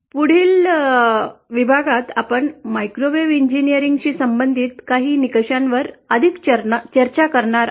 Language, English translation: Marathi, In the next module, we shall be further discussing something parameters associated with microwave engineering